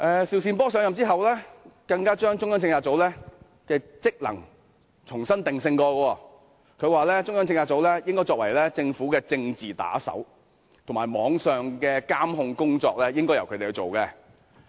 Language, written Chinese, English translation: Cantonese, 邵善波上任後，更將中策組的職能重新定性，他說中策組應該作為政府的政治打手，而網上的監控工作亦應該由他們進行。, After SHIU Sin - por assumed office he even redefined the function of CPU . He said CPU should act as the Governments political henchman and Internet surveillance should also be conducted by them